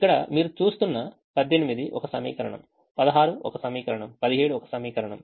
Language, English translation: Telugu, you will see, eighteen is a an equations, sixteen is an equation, seventeen is an equation